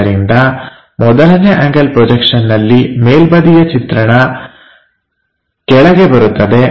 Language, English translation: Kannada, So, in 1st angle projection, the top view comes at bottom